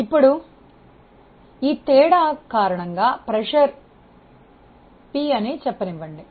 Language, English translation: Telugu, Now, because of this difference in pressure let us say this is p